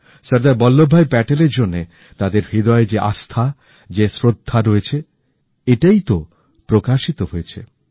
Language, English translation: Bengali, The reverence and devotion for Sardar Vallabhbhai Patel in their hearts was reflected in the form of homage paid to him